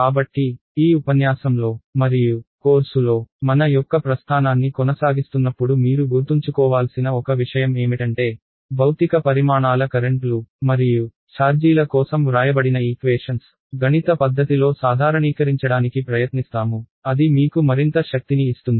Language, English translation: Telugu, So, one thing I would like you to keep in mind as we go ahead in this lecture and in the course is that there are equations which are written for physical quantities currents and charges, what we will do is we will try to generalize it to make it in a mathematical way which will give us more power